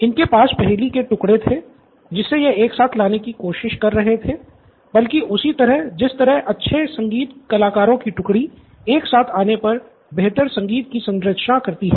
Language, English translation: Hindi, So they have pieces of the puzzle, they are trying to piece it altogether and like a good music ensemble it all comes together